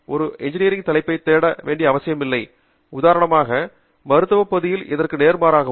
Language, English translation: Tamil, an engineering topic need not be searched, for example, in the medicine area, and vice versa